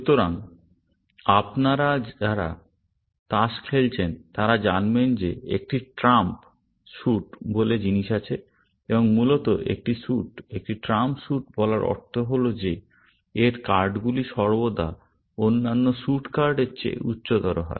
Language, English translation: Bengali, So, those of you have played cards, would know that there is something called a trump suit, and essentially, the effect of calling a suit, a trump suit is that its cards are always, higher than other suit cards